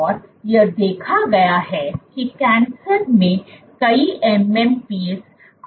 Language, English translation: Hindi, And it has been observed that in cancer multiple MMPs are over expressed